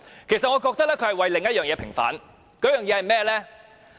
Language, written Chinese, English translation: Cantonese, 其實，我覺得他是為了另一件事平反，為了甚麼？, In fact I think he is for the vindication of another matter . What is it?